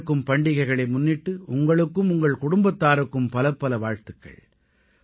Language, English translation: Tamil, My best wishes to you and your family for the forthcoming festivals